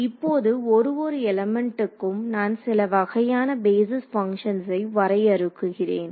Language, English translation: Tamil, Now, for each element I will define some kind of basis functions ok